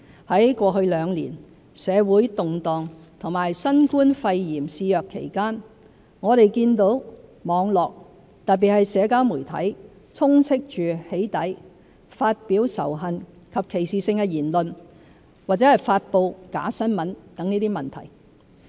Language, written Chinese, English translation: Cantonese, 在過去兩年，社會動盪及新冠肺炎肆虐期間，我們見到網絡，特別是社交媒體充斥着"起底"、發表仇恨及歧視性言論或發布假新聞等問題。, Amid the social unrest and the COVID - 19 pandemic in the past two years problems such as the inundation of doxxing activities hate speech discriminatory remarks and false information on the Internet in particular in various social media have been seen